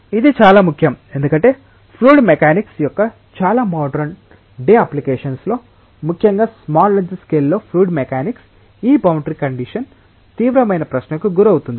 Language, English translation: Telugu, It is important because in many of the modern day applications of fluid mechanics especially fluid mechanics in small length scales, this boundary condition is something which is put under serious question